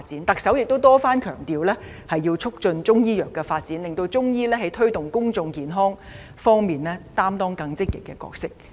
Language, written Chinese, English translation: Cantonese, 特首也多番強調要促進中醫藥的發展，令中醫在推動公眾健康方面擔當更積極的角色。, The Chief Executive has also repeatedly emphasized the need to develop Chinese medicine so that it will assume a more active role in promoting public health